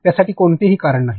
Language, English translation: Marathi, There is no reason for that